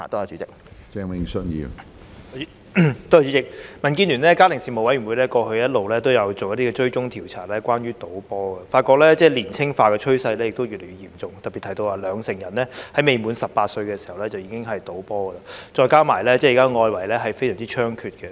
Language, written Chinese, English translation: Cantonese, 主席，民建聯的家庭事務委員會過去一直有進行關於賭波的追蹤調查，發現賭波年青化的趨勢越來越嚴重，並特別提到有兩成人在未滿18歲時已經賭波，再加上現時外圍賭波的情況猖獗。, President the Family Affairs Committee of the Democratic Alliance for the Betterment and Progress of Hong Kong DAB has been conducting surveys to follow up on the issue of football betting . It is revealed that people participate in football betting at an increasingly young age in particular 20 % of the respondents have participated in football betting when they are aged below 18; and worse still illegal football betting is prevalent at present